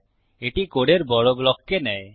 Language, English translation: Bengali, It takes large blocks of code